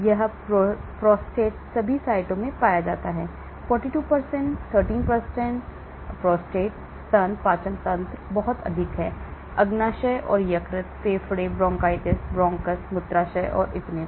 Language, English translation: Hindi, It is found in the prostate, all sites; 42%, 13% prostate, breast, digestive system is very high, pancreas and liver, lung bronchitis; bronchus, bladder and so on